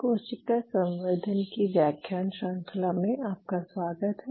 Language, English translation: Hindi, Welcome back to the lecture series in a Cell Culture